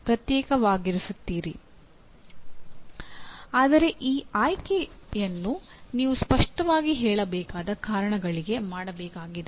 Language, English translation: Kannada, But that choice has to be made by you for the very clearly stated reasons